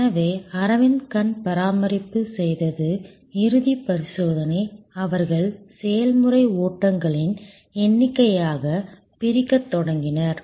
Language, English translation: Tamil, So, what Aravind eye care did is the final examination, they started sub dividing into number of process flows